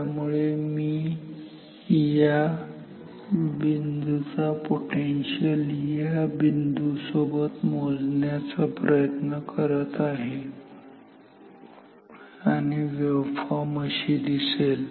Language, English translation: Marathi, So, I am measuring the potential of this point with respect to this point and the waveform looks like this